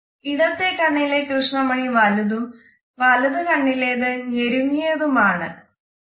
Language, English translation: Malayalam, The left eye has a dilated pupil and the right eye has a constricted pupil